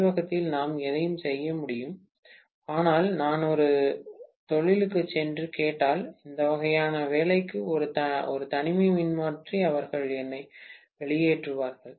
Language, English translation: Tamil, In the laboratory we can do anything but if I try to go to an industry and ask for an isolation transformer for this kind of job, they will kick me out, right